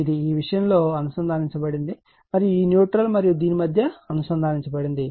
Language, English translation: Telugu, It is it is connected in this thing and , between this one and this neutral it is connected right